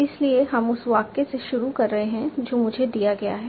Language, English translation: Hindi, So we are starting with a sentence that is given to me